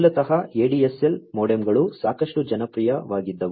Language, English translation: Kannada, Basically, you know ADSL modems were quite popular